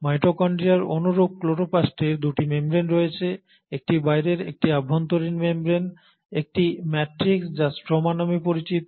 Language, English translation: Bengali, Chloroplast similar to mitochondria has 2 membranes, an outer membrane, an inner membrane, a matrix which is called as the stroma